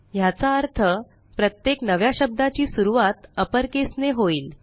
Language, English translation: Marathi, * Which means each new word begins with an upper case